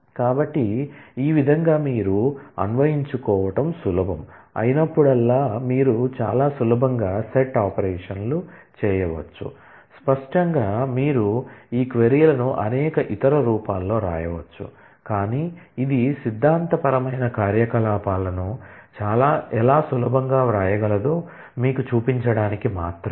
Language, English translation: Telugu, So, in this way you can very easily do set operations, whenever that is easy to conceive; obviously, you can write these queries in several other different forms, but this is just to show you how set theoretic operations can be easily written